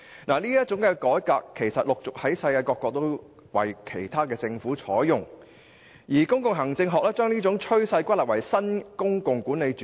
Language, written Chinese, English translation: Cantonese, 這種改革措施陸續為其他國家的政府採用，而公共行政學將這種趨勢歸納為新公共管理主義。, This kind of reform measures was adopted by the governments of other countries one after another . In Public Administration such a trend falls under New Public Management